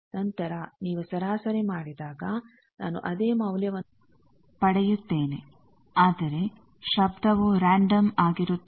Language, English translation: Kannada, So, then when you average more or less I will get the same thing, but noise it is random